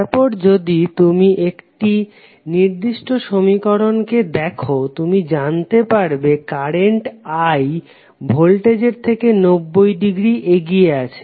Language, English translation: Bengali, Then if you see this particular expression you will come to know that current I is leading with respect to voltage by 90 degree